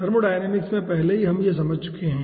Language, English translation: Hindi, we have already understood in ah thermodynamics